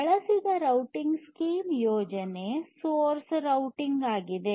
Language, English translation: Kannada, The routing scheme that is used is source routing